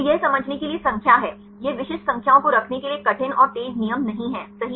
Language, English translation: Hindi, So, this is the numbers for understanding, this is not a hard and fast rules to have this specific numbers right